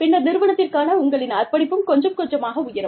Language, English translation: Tamil, And then, your commitment to the organization, tends to go up, quite a bit